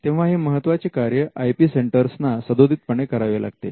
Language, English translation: Marathi, Now, this is a function that the IP centre has to discharge